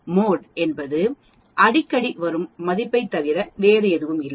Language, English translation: Tamil, Mode is nothing but the value which comes more often